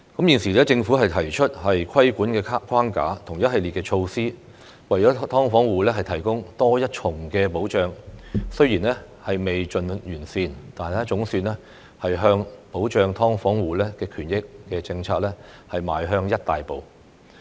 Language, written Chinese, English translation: Cantonese, 現時政府提出規管框架和一系列措施，為"劏房戶"提供多一重保障，雖然未盡完善，但總算向保障"劏房戶"權益的政策邁向一大步。, The Government has now put forth a regulatory framework and host of measures to provide a further safeguard for SDU tenants . Such a move though not perfect is at least a major step forward in protecting the interests of SDU tenants